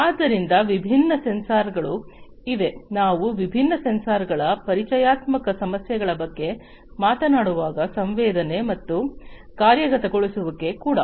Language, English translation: Kannada, So, there are different sensors, when we talked about the introductory issues of different sensors, and sensing and actuation